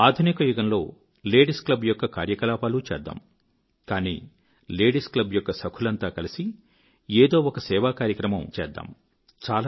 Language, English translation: Telugu, Routine tasks of a modern day Ladies' club shall be taken up, but besides that, let all members of the Ladies' club come together & perform an activity of service